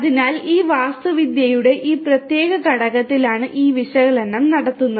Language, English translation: Malayalam, So, this analytics is performed in this particular component of this their architecture